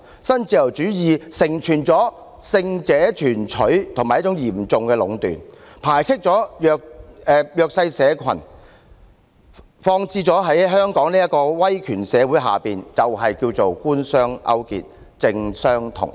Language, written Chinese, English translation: Cantonese, 新自由主義成全了勝者全取和嚴重壟斷的局面，排斥了弱勢社群，放諸香港這個威權社會，便是稱為官商勾結，政商同體。, Neoliberalism gives rise to the situation of the winner takes it all and serious monopolization marginalizing the socially disadvantaged groups . When it is applied to the authoritarian Hong Kong society it is called collusion between the Government and business an amalgamation of business and politics